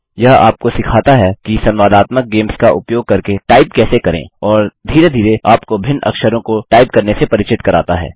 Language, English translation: Hindi, It teaches you how to type using interactive games and gradually introduces you to typing different characters